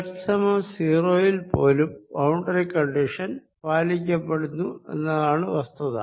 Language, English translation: Malayalam, the beauty is that even at z equal to zero, the boundary condition is satisfies